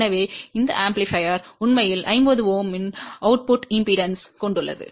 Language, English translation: Tamil, So, that amplifier actually has an output impedance of 50 Ohm